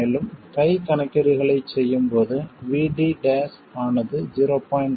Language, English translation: Tamil, And also, while doing hand calculations, we will assume VD not to be 0